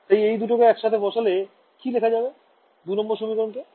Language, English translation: Bengali, So, when I put these two together, what is, can I rewrite equation 2